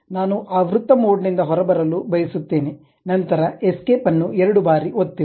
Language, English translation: Kannada, I would like to come out of that circle mode, then press escape twice